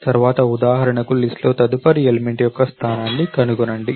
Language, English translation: Telugu, Next for example, find the position of the next element in the list